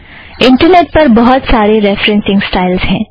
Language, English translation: Hindi, There is a large number of other referencing styles on the web